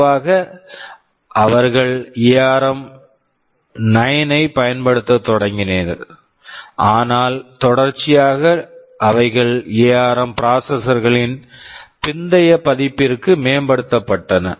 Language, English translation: Tamil, Typically they started to use ARM 9, but subsequently they updated or upgraded them to the later version of ARM processors